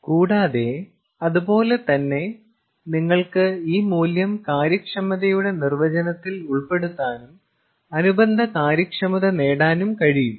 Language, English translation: Malayalam, and similarly you can put the same, put this value into the definition of ah efficiency and get the corresponding efficiency as well